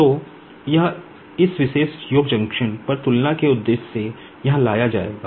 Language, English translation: Hindi, So, that will be brought here to this junction for the purpose of comparison